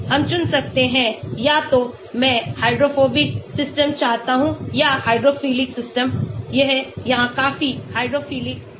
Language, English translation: Hindi, We can select either I want to have Hydrophobic system or a Hydrophilic system it is quite hydrophilic here